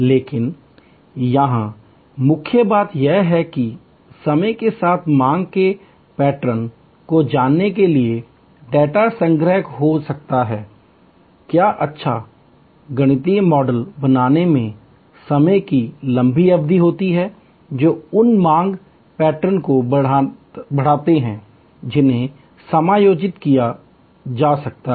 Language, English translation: Hindi, But, the key point here is that could data collection knowing the demand pattern over time, what a long period of time creating good mathematical models that to what extend those demand patterns can be adjusted